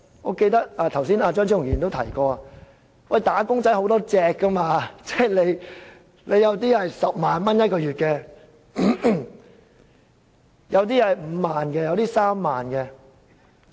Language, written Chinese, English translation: Cantonese, 我記得剛才張超雄議員也提過，"打工仔"有很多種，有人月薪10萬元，有人月薪5萬元，有人月薪3萬元。, I recall that Dr Fernando CHEUNG said just now that there were different types of wage earners some making 100,000 a month some 50,000 or 30,000